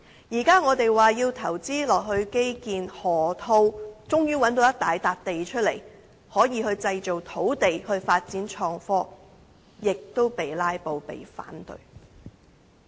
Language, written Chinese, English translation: Cantonese, 現在我們說要投資基建，終於在河套找到一大幅土地，可以製造土地，以供發展創科，但亦遭遇"拉布"和反對。, Now we say that we have to invest in infrastructure and finally we can find a large piece of land at the Loop which can be turned into land for innovation and technology development but this is also the target of filibuster and opposition